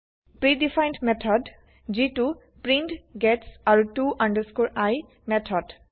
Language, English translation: Assamese, Pre defined method that is print, gets and to i method